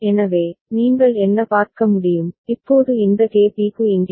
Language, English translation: Tamil, So, what you can see, now for this KB right over here